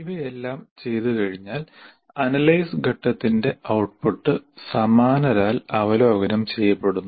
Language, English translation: Malayalam, And having done all this, the output of the analysis phase is peer reviewed